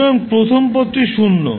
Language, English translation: Bengali, So the whole function will be zero